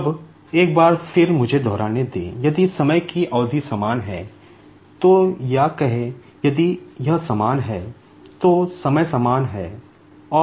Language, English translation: Hindi, Now, once again, let me repeat, if the time duration is same, say delta t or t, if it is the same, so time is the same